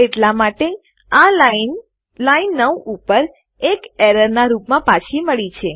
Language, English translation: Gujarati, Therefore, the line has been returned as an error on line 9